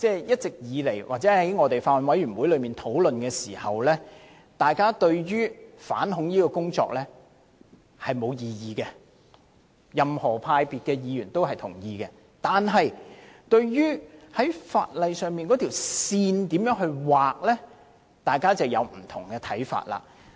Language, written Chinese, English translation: Cantonese, 一直以來，以及我們在法案委員會討論時，對於反恐工作當然沒有異議，不論任何派別的議員也會同意必須進行反恐工作，但對於在法例上如何劃線，大家便有不同看法。, We have certainly raised no objections to anti - terrorist work all along or during our discussions in the Bills Committee . While Members of any political grouping will agree that anti - terrorist work is necessary they may disagree as to where to draw the line in legislating